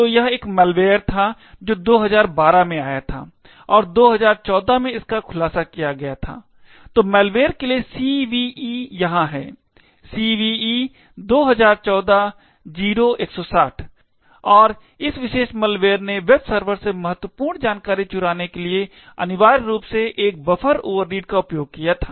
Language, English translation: Hindi, So, it was a malware that was introduced in 2012 and it was disclosed in 2014, so the CVE for the malware is over here, CVE 2014 – 0160 and this particular malware essentially used a buffer overread to steal critical information from a web server